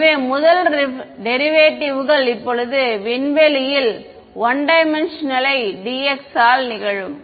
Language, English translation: Tamil, So, the first so the derivatives now will happen with respect to space first 1D by dx